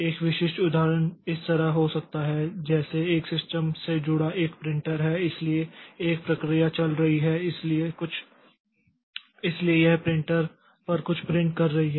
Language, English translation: Hindi, So, how this can be done a typical example can be like this like say there is a printer attached to a system so one process is running so it is printing something onto the printer